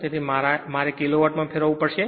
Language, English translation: Gujarati, So, that means it is converted kilo watt